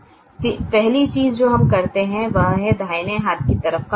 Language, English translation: Hindi, the first thing we do is we: this is has a minus value on the right hand side